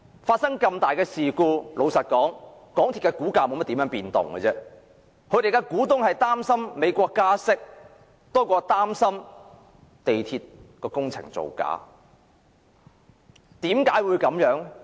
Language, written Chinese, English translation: Cantonese, 發生這麼重大的事故，港鐵公司的股價也沒有多少變動，他們的股東擔心美國加息多於港鐵的工程造假。, The shareholders of MTRCL are more worried about interest hike in the United States than the falsification involved in the MTRCL construction works